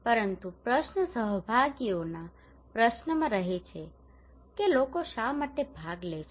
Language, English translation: Gujarati, But the question remains in question of participations that why people participate